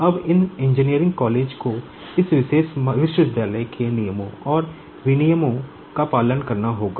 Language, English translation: Hindi, Now, these engineering colleges will have to follow the rules and regulations of this particular university